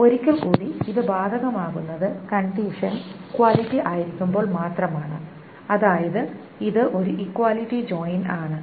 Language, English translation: Malayalam, Once more this is applicable only when the condition is equality, that is an equality joint